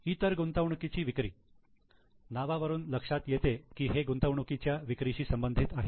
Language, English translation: Marathi, Sale of investment others as the name suggests it is related to sale of investment